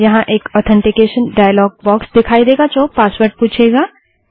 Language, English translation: Hindi, Here, an authentication dialog box appears asking for the Password